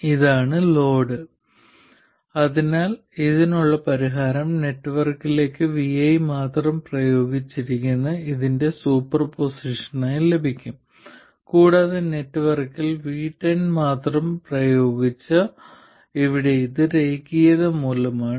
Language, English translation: Malayalam, So, the solution to this can be obtained as a superposition of this where we have only VI applied to the network and this where we have only V10 applied to the network